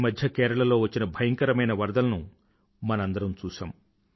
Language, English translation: Telugu, We just saw how the terrible floods in Kerala have affected human lives